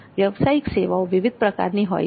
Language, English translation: Gujarati, So there are various types of professional services